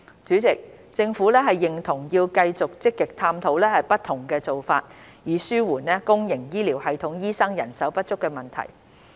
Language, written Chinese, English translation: Cantonese, 主席，政府認同要繼續積極探討不同的做法，以紓緩公營醫療系統醫生人手不足的問題。, President the Government concurs that it should continue to actively explore different approaches to alleviate the manpower shortage of doctors in the public healthcare system